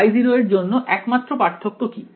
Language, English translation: Bengali, For Y 0 what is the only difference